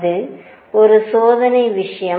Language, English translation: Tamil, That is one experimental thing